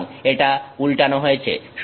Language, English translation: Bengali, So, it is inverted